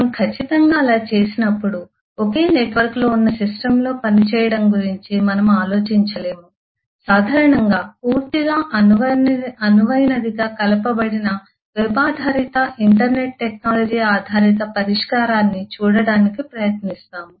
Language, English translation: Telugu, when we do that certainly we cannot just think about having working in a system which is on the single network will typically try to look at some web based kind of internet technology based solution which is completely loosely coupled